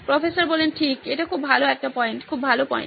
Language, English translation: Bengali, Right, that is a good point, very good point